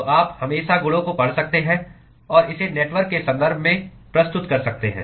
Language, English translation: Hindi, So, you can always read out the properties and present it in terms of the network